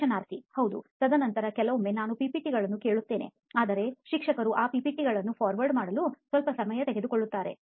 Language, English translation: Kannada, Yeah, and then sometimes I ask for the PPTs but what happens that teachers take a bit little time to forward those PPTs